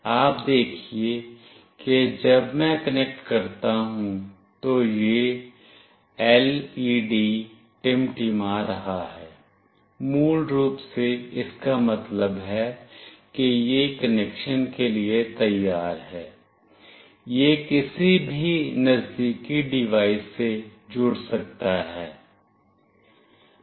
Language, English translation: Hindi, You see when I connect this LED is blinking, basically this means that it is ready for connection, it can connect to any nearby devices